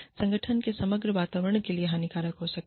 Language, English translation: Hindi, Can be detrimental, to the overall climate, of the organization